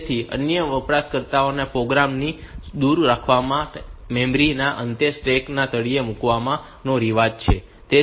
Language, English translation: Gujarati, So, it is customary to place the bottom of the stack at the end of memory to keep it far away from other users program